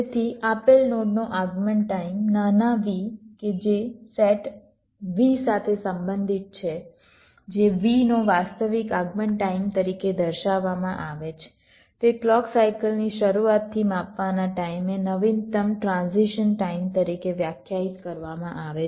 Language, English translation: Gujarati, so the arrival time of a given node, small v, that belongs to a set v, which is denoted as actual arrival time of v, is defined as the latest transition time at that point, measuring from the beginning of the clock cycle